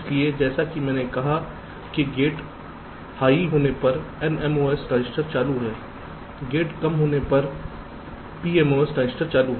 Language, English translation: Hindi, so, just as i said, an n mos transistor is on when the gate is high, pmos transistor is on when the gate is low